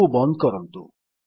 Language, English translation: Odia, Let us close this